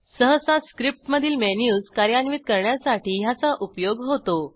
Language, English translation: Marathi, It is usually used to implement menus in a script